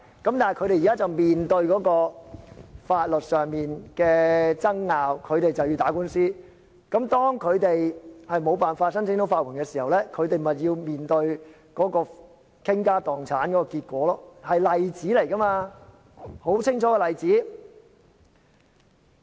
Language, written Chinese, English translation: Cantonese, 但是，他們現在面對法律上的爭拗，要打官司，當他們不能申請法援的時候，便要面對傾家蕩產的結果，這是一個例子，一個很清楚的例子。, Now they face a legal dispute and they have to go to court . If they cannot apply for legal aid they may have to face the outcome of bankruptcy . This is an example a very vivid example to illustrate his point